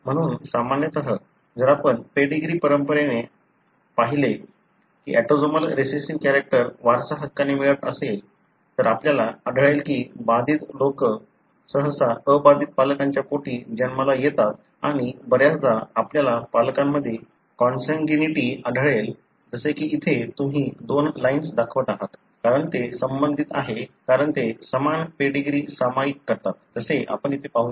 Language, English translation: Marathi, So, usually if you look into a pedigree that is autosomal recessive character being inherited, you will find that affected people are usually born to unaffected parents and more often you would find consanguinity in parents like for example here you are showing two lines, because they are related because they share the same ancestry, as you can see here